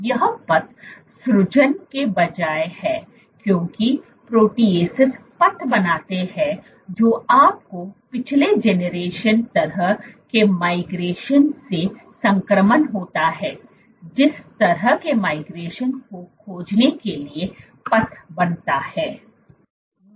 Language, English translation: Hindi, This is instead of path generating because proteases create path you have transition from past generating kind of migration, to path finding kind of migration